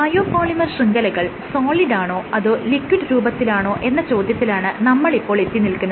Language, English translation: Malayalam, So, coming to the question of whether a biopolymer network is a solid or a liquid